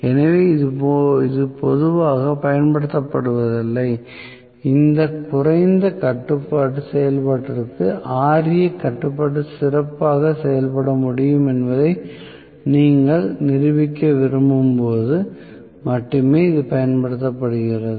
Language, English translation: Tamil, So, this is not commonly used this is used only when you want to demonstrate that Ra control can work well for lower speed of operation that is about it